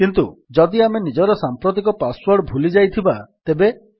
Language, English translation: Odia, But what if we have forgotten our current password